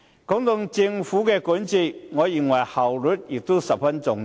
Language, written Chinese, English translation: Cantonese, 談到政府管治，我認為效率十分重要。, When it comes to the governance of the Government I think that efficiency plays a very important role